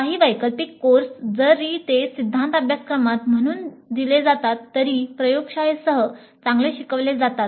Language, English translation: Marathi, Some of the elective courses, even though they are offered as theory courses, are actually better taught along with the laboratory